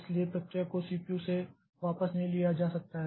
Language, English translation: Hindi, So, process cannot be taken back from the CPU